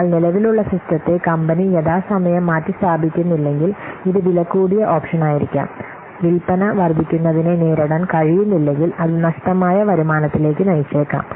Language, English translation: Malayalam, But if the company will not replace the existing system in time, that could be this could be an expensive option as it could lead to lost revenue